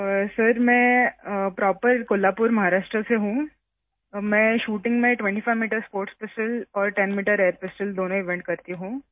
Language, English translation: Urdu, Sir I am from Kolhapur proper, Maharashtra, I do both 25 metres sports pistol and 10 metres air pistol events in shooting